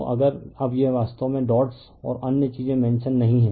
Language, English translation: Hindi, So, if you now this is actually what dots and other things not mentioned